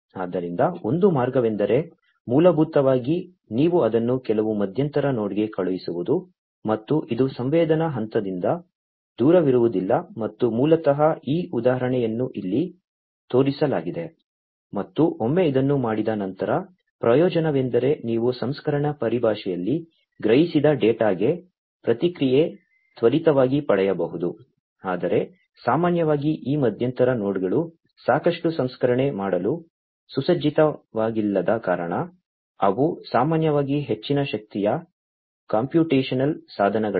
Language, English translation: Kannada, So, one way is basically, that you send it to some intermediate node, and which is not far off from the point of sensing, and that basically is this example shown over here and once it is done the advantage is that you can have quicker response to the sensed data in terms of processing, but because not typically these intermediate nodes are not well equipped to do lot of processing, they are not very high power computational devices typically